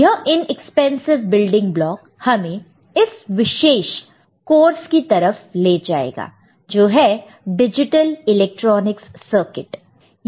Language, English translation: Hindi, This inexpensive building block actually will take us to this particular course, that is, digital electronics circuit